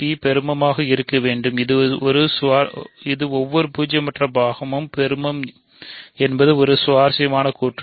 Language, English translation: Tamil, So, P must be maximal it is an interesting statement that every non zero prime is maximal